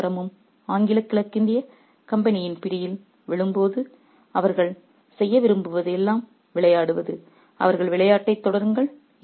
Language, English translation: Tamil, When the entire city is falling to the clutches of the English East India Company, all they want to do is to play and continue with their game